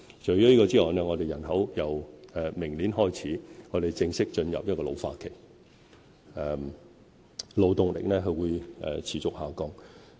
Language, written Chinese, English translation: Cantonese, 除此之外，本港人口由明年開始正式進入老化期，勞動力會持續下降。, In addition the Hong Kong population will formally enter a period of ageing starting next year and the labour force will continue to decrease